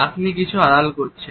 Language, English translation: Bengali, You are hiding something